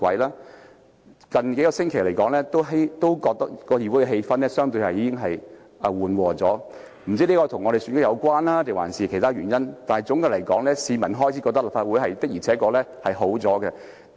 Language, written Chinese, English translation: Cantonese, 我覺得議會近數星期的氣氛已經變得相對緩和，不知是否與選舉有關還是其他原因，但總括來說，市民開始覺得立法會的確改善了。, As I see it the atmosphere in the Council has become relatively relaxed over the past few weeks . I wonder if this has anything to do with the election or due to other reasons but generally speaking people have started to feel that the Council has indeed improved